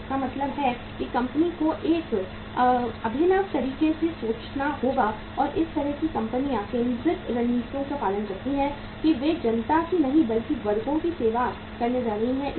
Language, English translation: Hindi, So it means the company has to think in a innovative manner and those kind of the companies follow the focused strategies that they are going to serve the classes not the masses